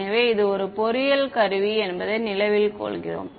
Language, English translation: Tamil, So, remember it is an engineering tool kind of a thing that we are doing